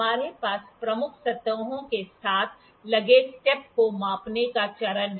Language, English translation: Hindi, We have the step measuring phase fitted with the major surfaces